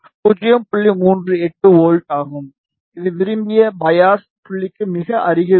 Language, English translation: Tamil, 38 volts which is quite close to the desired biasing point